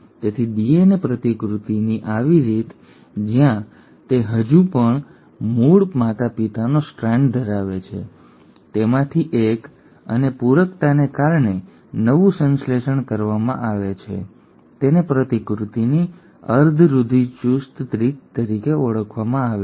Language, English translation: Gujarati, So such mode of DNA replication, where it still has the original parental strand, one of it and one of this is newly synthesised because of complementarity is called as semi conservative mode of replication